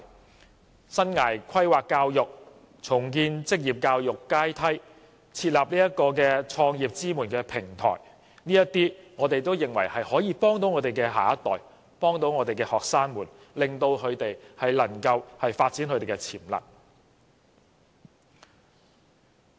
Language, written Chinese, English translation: Cantonese, 政府亦應加強生涯規劃教育，重建職業教育階梯，並設立創業支援平台；我們認為這些舉措可以幫助我們的下一代，幫助我們的學生，令他們能夠發展潛能。, In this regard the Government should strengthen life planning education rebuild the vocational education ladder and set up a platform to support business start - ups . We consider that these measures can benefit our next generation as well as students by helping them develop their potentials